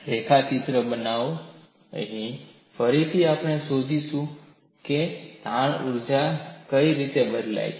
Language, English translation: Gujarati, Make a sketch of this also, here again we will find out what way the strain energy changes